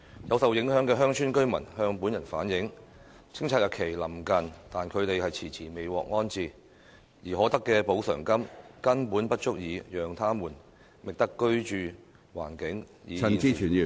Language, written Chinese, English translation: Cantonese, 有受影響的鄉村居民向本人反映，清拆日期臨近但他們遲遲未獲安置，而可得的補償金根本不足以讓他們覓得居住環境與現時相若的居所......, Some affected villagers have relayed to me that while the clearance date is drawing near they have not been rehoused after a protracted period of time and that the amounts of compensation that they may get are in no way sufficient for them to purchase a residential unit with a living environment similar to that at present